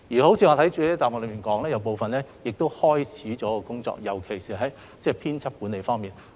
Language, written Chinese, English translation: Cantonese, 我已在主體答覆表明，部分跟進工作已經展開，尤其是在編輯管理方面。, As I have clearly pointed out in the main reply some follow - up work has commenced especially in editorial management